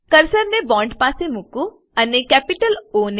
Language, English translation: Gujarati, Place the cursor near the bond and press capital O